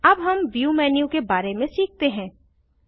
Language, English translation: Hindi, Let us now learn about the View menu